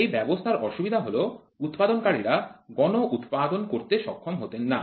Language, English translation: Bengali, The disadvantage of this system is he was not able to mass produce